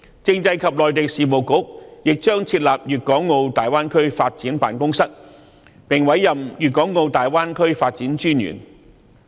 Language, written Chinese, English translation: Cantonese, 政制及內地事務局亦將設立粵港澳大灣區發展辦公室，並委任粵港澳大灣區發展專員。, The Constitutional and Mainland Affairs Bureau will also set up a Greater Bay Area Development Office and appoint a Commissioner for the Development of the Greater Bay Area